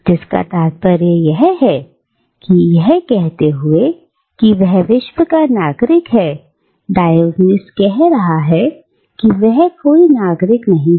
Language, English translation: Hindi, Which means that by saying, that he is a citizen of the World, Diogenes is saying that he is no citizen